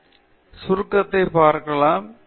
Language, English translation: Tamil, So, let’s look at the summary